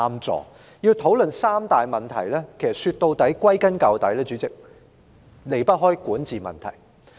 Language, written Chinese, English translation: Cantonese, 主席，要討論這三大問題，歸根究底，也離不開管治問題。, President the discussion on the three major problems after all is about governance